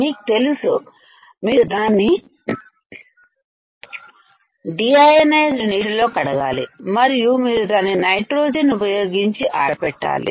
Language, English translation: Telugu, You know that you have to rinse it in deionized water, and then you have to dry it using nitrogen